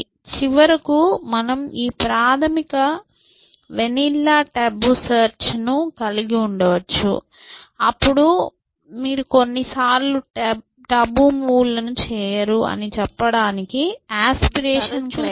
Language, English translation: Telugu, So, in the end of course, you can have this basic vanilla tabu search than you can add the aspiration criteria to say that, sometimes you do not make moves tabu